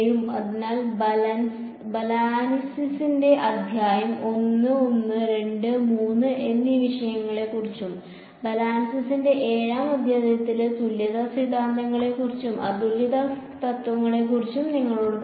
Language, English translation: Malayalam, So, chapter 1 of Balanis will talk about topics 1, 2 and 3 and chapter 7 of Balanis will tell you about equivalence theorems and uniqueness theorems